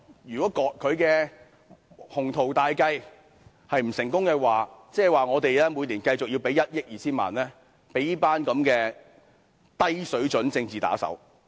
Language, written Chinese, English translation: Cantonese, 如果她的鴻圖大計不成功，我們便須每年繼續支付1億 2,000 萬元予這一群低水準的政治打手。, If her ambitious plan falls through we will have to continue to pay 120 million to this bunch of political henchmen of a low standard every year